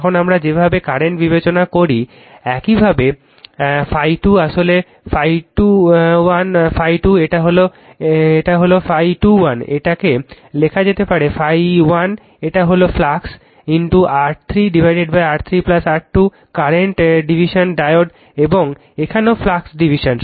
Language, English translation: Bengali, Now, the way we do the current division same way the phi 2 actually phi 2 1 right, phi 2 is equal to this one it is phi 2 1 is equal to you can write the phi 1, this is the total flux into R 3 divided by R 3 plus R 2 the current division diode and here also flux division